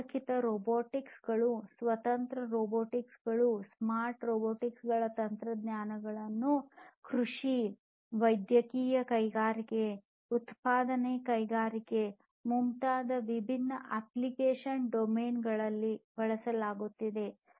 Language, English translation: Kannada, Technologies such as connected robots, standalone robots, smart robots being used in different application domains such as agriculture, medical industries, manufacturing industries, and so on